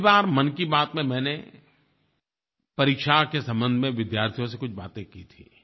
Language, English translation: Hindi, In the last edition of Mann Ki Baat I talked about two things